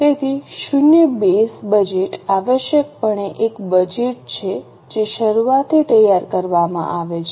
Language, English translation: Gujarati, So, zero base budget essentially is a budget which is prepared from scratch